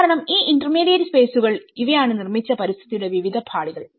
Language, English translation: Malayalam, Because these intermediate spaces you know, these are the various layers of the built environment